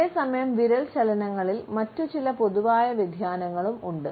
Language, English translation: Malayalam, At the same time we find that there are certain other common variations of finger movements